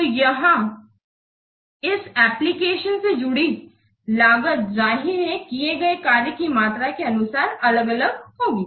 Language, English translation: Hindi, So here the cost associated with these applications, obviously that will vary according to the volume of the work performed